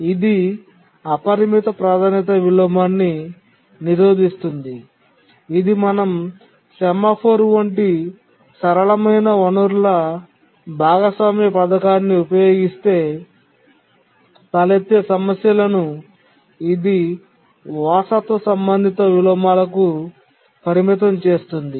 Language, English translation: Telugu, It prevents the unbounded priority inversion which is the problem that arises if we use a simple resource sharing scheme such as a semaphore